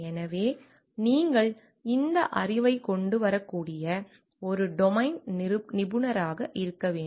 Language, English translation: Tamil, So, it has to be a domain expert you can come up with this knowledge